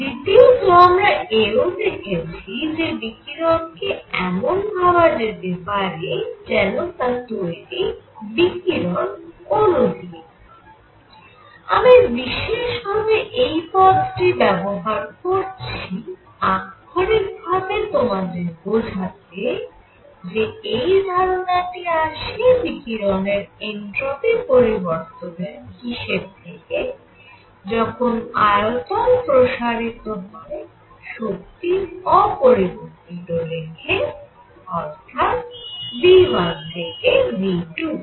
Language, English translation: Bengali, Number 2; not only this, what we also saw is that radiation itself can be thought of as composed of let us call radiation molecules and I am using that term, the literately to show you because it came from the considerations of entropy change of radiation when it expanded, keeping the energy same and the volume increase from v 1 to v 2 and it was the same as an ideal gas